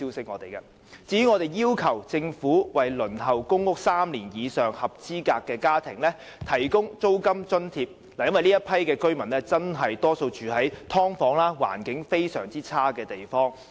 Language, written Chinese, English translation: Cantonese, 我們亦要求政府為輪候公屋3年以上的合資格家庭提供租金津貼，因為這些居民大多數住在"劏房"這類環境極差的地方。, We have also requested the Government to provide rental subsidy for eligible families who have waited for PRH allocation for more than three years because most of them are living in very poor conditions such as subdivided units